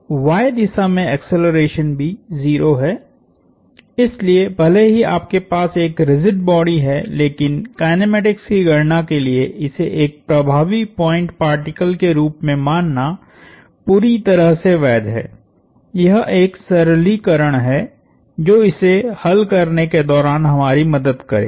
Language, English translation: Hindi, So, the acceleration in the y direction is also 0, so even though you have a rigid body treating it as an effective point particle for the sake of calculating the kinematics is perfectly legitimate, this is a simplification that will help us along the way